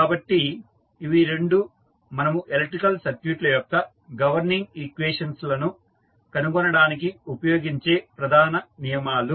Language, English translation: Telugu, So, these were the two major laws which we used in finding out the governing equations for the electrical circuits